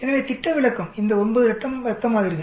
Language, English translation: Tamil, So the standard deviation, so 9 blood samples